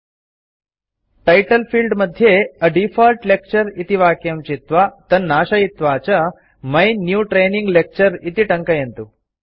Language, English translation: Sanskrit, In the Title field, select and delete the name A default lecture and type My New Training Lecture